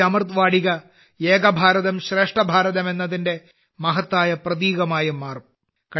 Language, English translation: Malayalam, This 'Amrit Vatika' will also become a grand symbol of 'Ek Bharat Shresth Bharat'